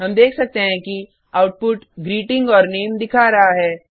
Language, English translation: Hindi, We can see that the output shows the greeting and the name